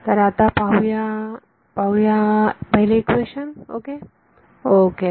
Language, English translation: Marathi, So, let us let us see let us look at let us take the first equation ok